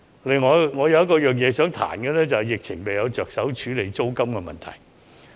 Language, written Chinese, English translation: Cantonese, 另外，我想批評政府在疫情下未有着手處理租金的問題。, In addition I would like to criticize the Government for failing to address the rent issue amid the epidemic